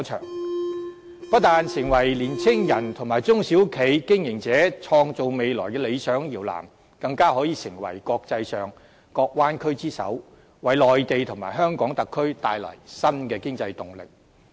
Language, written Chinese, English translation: Cantonese, 我也希望大灣區不但成為年青人和中小企經營者創造未來的理想搖籃，更可以成為國際上各灣區之首，為內地和香港特區帶來新的經濟動力。, I also hope that while the Bay Area can become an ideal cradle for young people and SME operators in creating the future it can also become the leading bay area among the bay areas in the world providing new economic impetus to the Mainland and the Hong Kong SAR